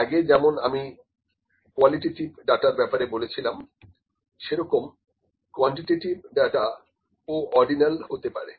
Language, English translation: Bengali, Like I said before in the qualitative data as well quantitative data can also be ordinal